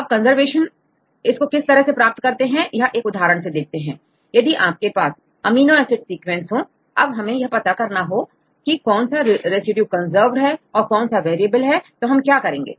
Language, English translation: Hindi, Then how to get the conservation score right for example, if you have an amino acid sequence, we like to know which residues are conserve and which residues are variable how to do that